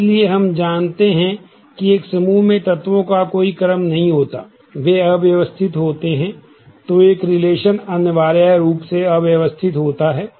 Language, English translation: Hindi, So, we know the elements in a set are do not have any ordering, they are unordered